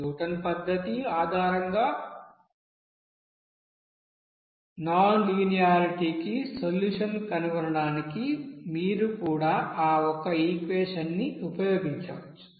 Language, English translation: Telugu, Even you can use that, you know single equation to find out that solution for its nonlinearity based on that, you know Newton's method